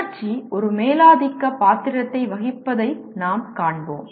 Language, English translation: Tamil, We will see that emotion plays a dominant role